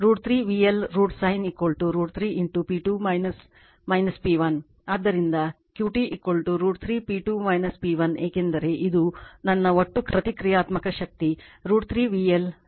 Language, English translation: Kannada, Therefore Q T is equal to root 3 into P 2 minus P 1 because this is my total reactive power root 3 V L I L sin theta